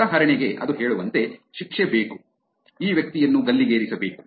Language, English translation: Kannada, Like for example it says, need to be punished, need to hang this guy